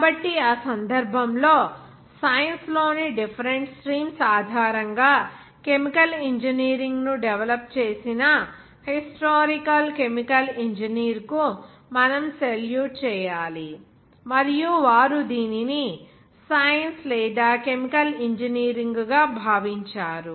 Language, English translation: Telugu, So, in that case, we have to salute them historical chemical engineer who has developed chemical engineering based on the science of different streams, and they have regarded it as a science or chemical engineering